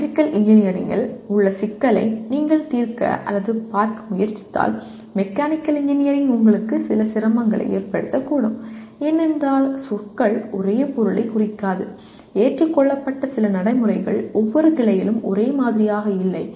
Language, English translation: Tamil, If you try to solve or look at a problem in Electrical Engineering from the framework of Mechanical Engineering you can have some difficulty because the words do not mean the same thing and some of the accepted procedures are not the same in each branch and so on